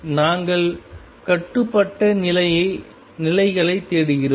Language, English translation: Tamil, We are looking for bound states